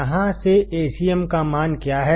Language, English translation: Hindi, From here what is the value of Acm